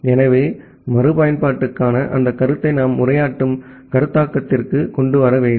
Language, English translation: Tamil, So, that concept of reusability we need to bring in to the addressing concept